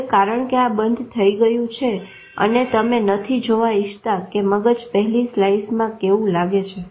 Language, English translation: Gujarati, Now because this shuts off and you don't want this is see how the brain looks at it for slices